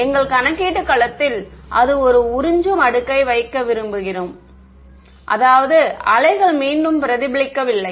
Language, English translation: Tamil, We wanted to put in an absorbing layer in our computational domain such that the waves did not get reflected back